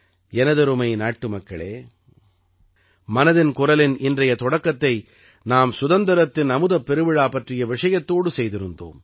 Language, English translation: Tamil, My dear countrymen, in the beginning of 'Mann Ki Baat', today, we referred to the Azadi ka Amrit Mahotsav